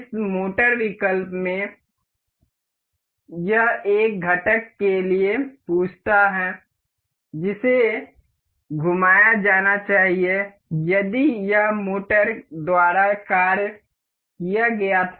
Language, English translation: Hindi, In this motor option, this asks for a component that has to be rotated if it were acted upon by a motor